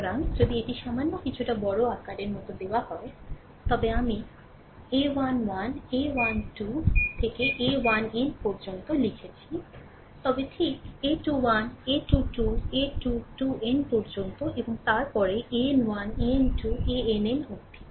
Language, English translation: Bengali, So, if it is given like little bit bigger I have written the a 1 1, a 1 2, a 1 3 up to a 1 n, then a 2 1, a 2 2, a 2 3 up to a 2 n, right similarly, a 3 1, a 3 2, a 3 3 up to a 3 n, and then a n 1, a n 2, a n 3 up to a n n